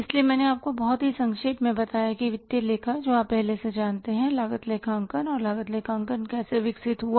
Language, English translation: Hindi, So I told you very briefly that the financial accounting which you already know and the cost accounting, how the cost accounting has developed